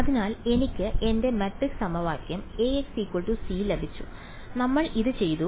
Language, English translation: Malayalam, So, I have got my matrix equation A x equal to c and we have done this ok